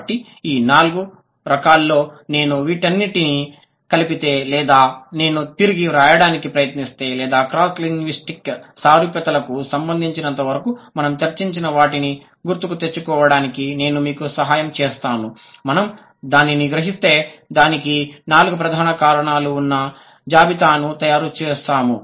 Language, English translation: Telugu, So, these are the four, so kind of, if I put it together or I, if I try to rephrase or if I, if I would help you to recall what we have discussed as far as cross linguistic similarities are concerned, we realized that or we listed that there are four major types or sorry, there are four major reasons